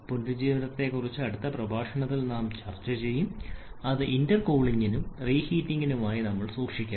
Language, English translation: Malayalam, Regeneration we shall be discussing in the next lecture today we are keeping it up to intercooling and reheating